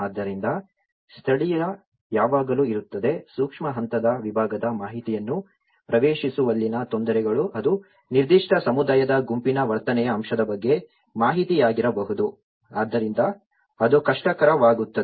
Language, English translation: Kannada, So, there is always an indigenous, the difficulties in accessing the information of even a micro level segment it could be an information about a behavioural aspect of a particular community group, so that becomes difficult